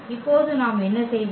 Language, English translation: Tamil, And what we do now